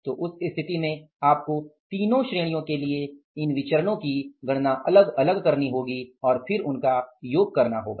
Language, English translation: Hindi, So, in that case you have to calculate these variances separately for all the three categories and sum them up